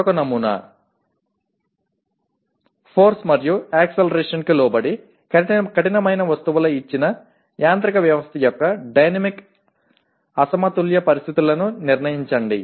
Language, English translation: Telugu, Another sample, determine the dynamic unbalanced conditions of a given mechanical system of rigid objects subjected to force and acceleration